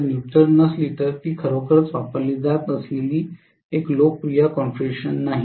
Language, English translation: Marathi, If the neutral is not grounded, it is not a really a popular configuration that is being used